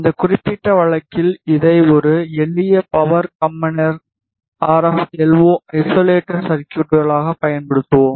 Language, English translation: Tamil, In this particular case we will use a simple power combiner as a RFLO isolator circuit